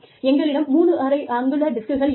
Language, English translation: Tamil, And, we had 3 1/2 inch disks